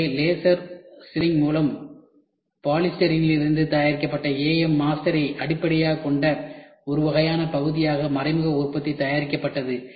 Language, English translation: Tamil, So, indirect manufacturing was produced as one of a kind part based on an AM master made from polystyrene by laser sintering